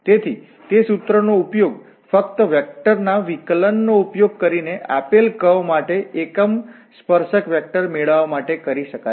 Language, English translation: Gujarati, So, that formula can be used to get the unit tangent vector for a given curve using just this derivative of the vector function